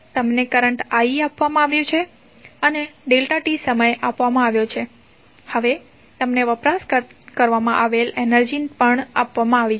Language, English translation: Gujarati, You have got current i you have got time delta t and now you have also got the value of energy which has been consumed